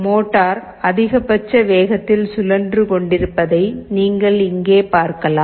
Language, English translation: Tamil, You see motor is rotating in the full speed